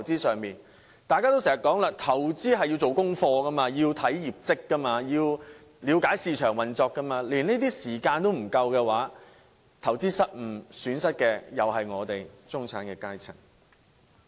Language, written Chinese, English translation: Cantonese, 正如大家經常說的，投資需要做功課，要察看相關公司的業績及了解市場運作，但他們卻沒有時間做這些功課，當投資失誤時，卻要自行承擔損失。, As we have frequently mentioned investment takes research efforts of studying information about the business performance of relevant companies and seeking to understand the market operation but the point is they do not have the time to make such efforts . They even have to suffer losses at their own expense in case of investment failure